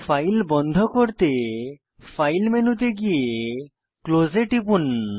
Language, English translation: Bengali, Go to File menu, select Close to close the file